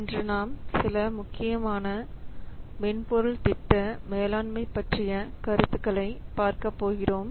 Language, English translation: Tamil, Today we will see some important concepts of software project management